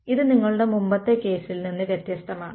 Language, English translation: Malayalam, So, this is different from your previous case